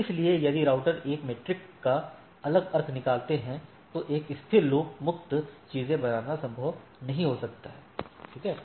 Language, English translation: Hindi, So, if routers have different meaning of a metric, it may not be possible to create a stable loop free things, right